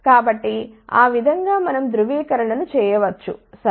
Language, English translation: Telugu, So, that way we can do the validation ok